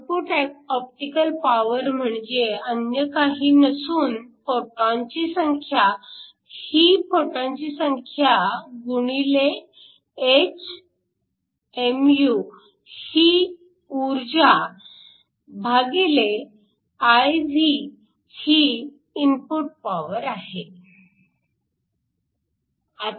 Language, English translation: Marathi, The optical power output is nothing, but the number of photons, this is number of photons times the energy h mu divided by the input power which is usually just IV